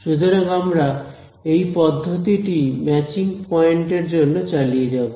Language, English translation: Bengali, So, what we will do is we will continue this process for all the matching points